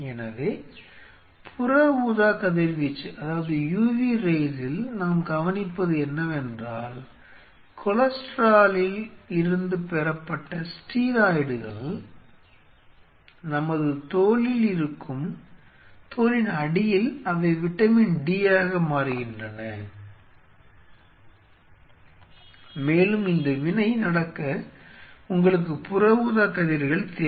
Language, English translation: Tamil, So, what we observe the UV what happened steroids derived from cholesterol which are present in our skin, underneath the skin they get converted into vitamin d and for this reaction to happen you need ultraviolet rays